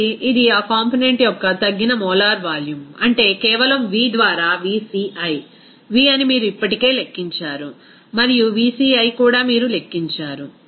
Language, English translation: Telugu, Again this what will be the reduced molar volume of that component, to be simply that v by vci,v is already you have calculated and vci also you have calculated